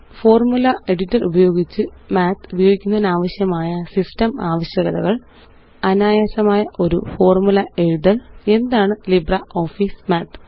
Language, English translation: Malayalam, System requirements for using Math Using the Formula Editor Writing a simple formula What is LibreOffice Math